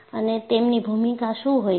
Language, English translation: Gujarati, And what is their role